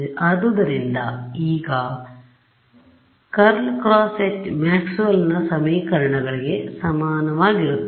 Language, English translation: Kannada, So, now, curl of H by Maxwell’s equations is going to be equal to